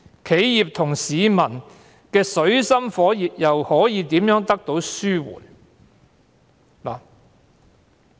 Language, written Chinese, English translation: Cantonese, 企業和市民水深火熱的情況又如何得以紓緩？, What could be done to alleviate the difficult situations of enterprises and members of the public?